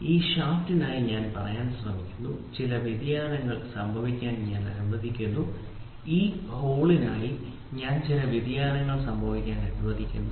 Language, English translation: Malayalam, So, I try to say for this shaft I allow some variation to happen, for this hole I allow some variation to happen